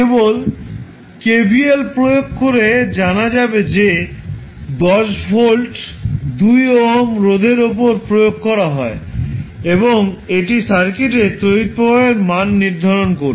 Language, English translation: Bengali, You can simply find out by applying the kvl that is 10 volt is applied across through the 2 ohm resistance and it will define the value of current in the circuit